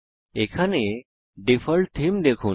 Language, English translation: Bengali, See the Default Theme here